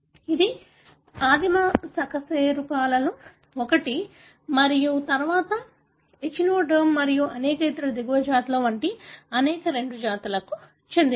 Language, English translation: Telugu, This is one of the primitive vertebrates and then many other, like for example echinoderm, and many other lower species